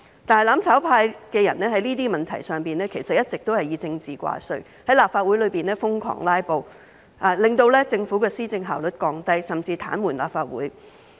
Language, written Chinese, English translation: Cantonese, 但是，"攬炒派"的人在這些問題上一直以政治掛帥，在立法會內瘋狂"拉布"，令政府的施政效率降低，甚至癱瘓立法會。, However people from the mutual destruction camp have long been politically orientated towards these issues and frantically staged filibusters in the Legislative Council thus reducing the efficiency of the Government in policy implementation and even paralysing the Legislative Council